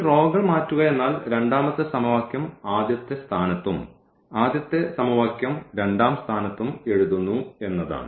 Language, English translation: Malayalam, So, changing this row is nothing, but just the writing the second equation for example, at the first place and the first equation at the second place